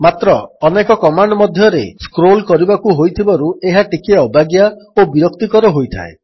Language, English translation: Odia, But when you have to scroll through many commands this becomes a little clumsy and tedious